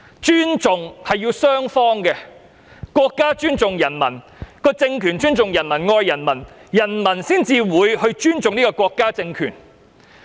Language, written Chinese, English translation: Cantonese, 尊重是雙方面的，國家政權尊重人民及愛人民，人民才會尊重國家政權。, Respect is mutual and if the state power respects and loves the people the people will respect the state power